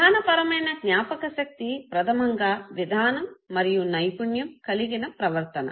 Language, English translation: Telugu, Procedural memory basically constitutes the knowledge of the procedure and the skilled behavior